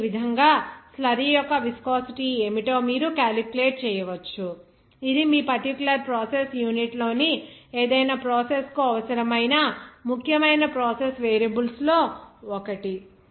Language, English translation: Telugu, So, in this way, you can calculate what would be the viscosity of the slurry, this is one of the important process variables where it would be required for any process in your particular process unit